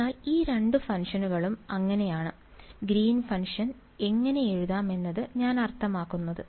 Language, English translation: Malayalam, So, that is how these two functions I mean that is how the Green’s function can be written